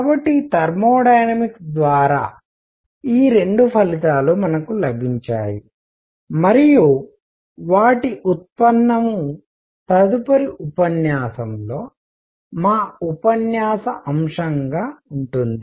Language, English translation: Telugu, So, these are the two results that we have obtained through thermodynamics, and their derivation is going to be subject of our lecture in the next one